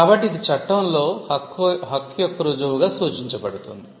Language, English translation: Telugu, So, this in law be referred to as the proof of right